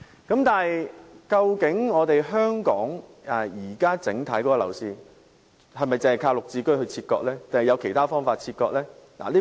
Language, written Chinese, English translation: Cantonese, 然而，究竟香港目前的整體樓市是否靠"綠置居"切割呢？還是有其他方法切割呢？, Should the property market in Hong Kong be segregated by way of GSH or is there any other way?